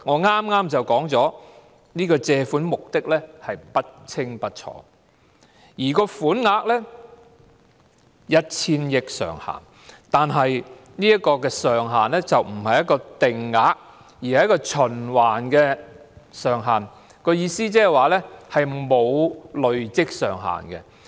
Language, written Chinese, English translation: Cantonese, 我剛才說過，借款目的不清不楚，款額上限是 1,000 億元，但這個上限不是定額，而是循環上限，意思是沒有累積上限。, As I said earlier the purpose of borrowing is vague . While the maximum amount is 100 billion the cap is not a fixed limit but it is revolving in essence which implies that there is no cumulative limit